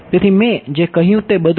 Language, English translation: Gujarati, So, all of what I said